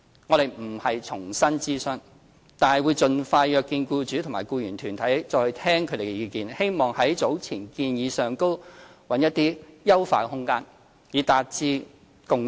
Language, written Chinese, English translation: Cantonese, 我們並非要重新諮詢，但會盡快約見僱主和僱員團體，再聽取他們的意見，希望在早前的建議上尋找優化空間，以達致共識。, We do not plan to consult the public afresh yet we will arrange meetings with employers and employees groups as soon as practicable to receive their opinions again with an attempt to seek a consensus among both sides by exploring any room for improvement on the basis of prior proposals